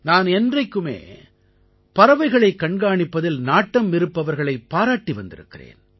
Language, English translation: Tamil, I have always been an ardent admirer of people who are fond of bird watching